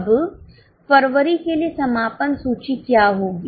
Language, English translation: Hindi, Now, what will be the closing inventory for February